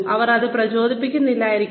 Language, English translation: Malayalam, Then, they may not motivate